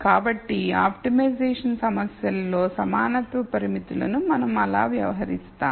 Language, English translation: Telugu, So, that is how we deal with equality constraints in an optimization problems